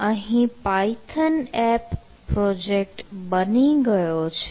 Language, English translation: Gujarati, so now the python app have